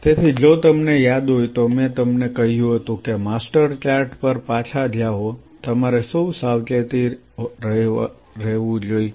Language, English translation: Gujarati, So, if you remember I told you that go back to the master chart what all you have to be careful